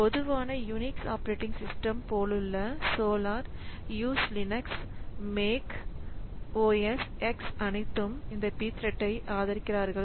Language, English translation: Tamil, And common unique operating systems like Solaris Linux, Mac OSX, all of them support this P thread